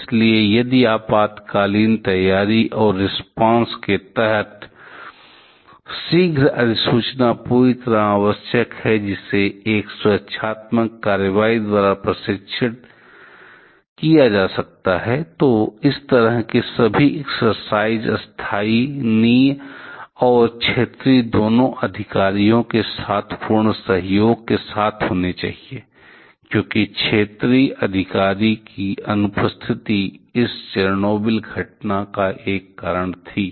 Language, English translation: Hindi, So, if under emergency preparedness and response, prompt notification is absolutely essential, which can be tested by a protective action, exercise all such kind of exercise must happen with complete collaboration with both local and regional officials because the absence of regional official was one of the reason of this Chernobyl incident